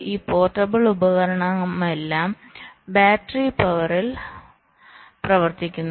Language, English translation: Malayalam, this portable devices all run on battery power